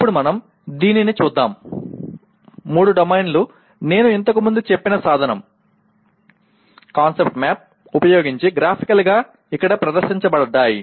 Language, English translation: Telugu, Now let us take a look at the, all the three domains are presented here graphically using the tool I have mentioned earlier, Concept Map